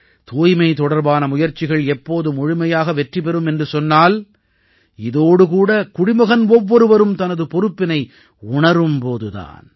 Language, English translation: Tamil, the efforts of cleanliness can be fully successful only when every citizen understands cleanliness as his or her responsibility